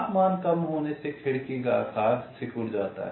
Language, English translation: Hindi, ok, so window size shrinks as the temperature decreases